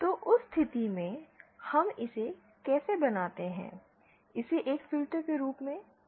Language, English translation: Hindi, So in that case, how do we make it a, use it as a filter